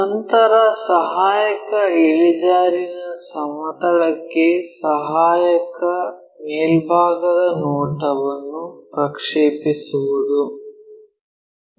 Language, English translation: Kannada, Then project auxiliary top view onto auxiliary inclined plane